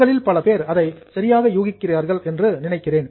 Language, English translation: Tamil, I think most of you are guessing it correctly